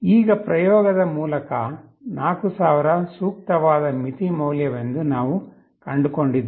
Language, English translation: Kannada, Now, through experimentation, we found 4000 to be a suitable threshold value